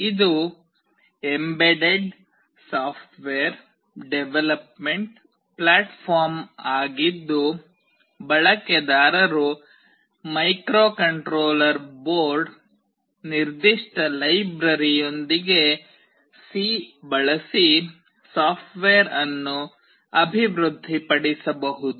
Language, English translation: Kannada, It is an embedded software development platform using which users can develop software using C, with microcontroller board specific library